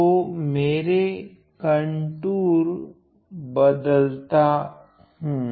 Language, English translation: Hindi, So, let us now look at the contour here